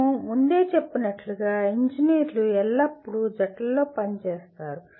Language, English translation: Telugu, As we mentioned earlier, engineers always work in teams